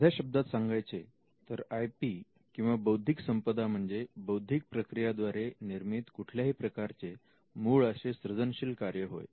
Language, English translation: Marathi, Now first we need to understand what IP Intellectual Property is in simple terms refers to any original creative work which is a result of an intellectual process